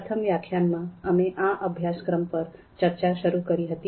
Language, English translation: Gujarati, So in previous lecture, we started our discussion on this particular course